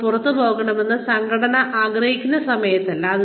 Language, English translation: Malayalam, And not when, the organization wants you to leave